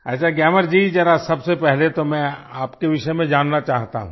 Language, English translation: Hindi, Fine Gyamar ji, first of all I would like toknow about you